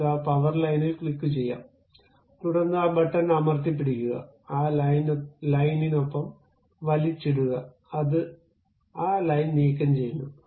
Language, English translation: Malayalam, Let us click that power line, then click that button hold it, drag along that line, it removes that line